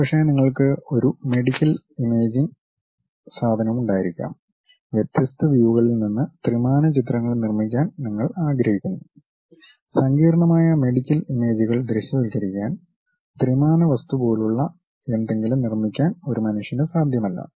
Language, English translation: Malayalam, Perhaps you might be having a medical imaging thing and you would like to construct 3 dimensional pictures from different views, is not possible by a human being to really visualize that complicated medical images to construct something like 3D